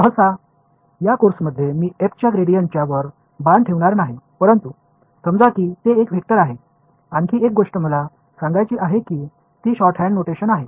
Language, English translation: Marathi, Usually, in this course I will not be putting a arrow on top of the gradient of f, but it is understood that it is a vector, another thing I want to point out is that this is a shorthand notation